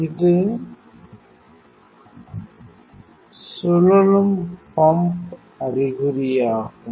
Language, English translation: Tamil, This is the rotating pump indication